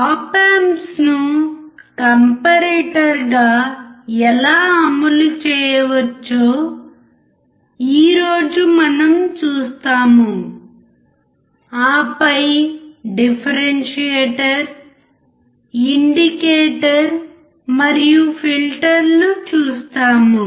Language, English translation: Telugu, We will see today how can we actually implement the op amps as comparator and then we will follow for differentiator indicators and filters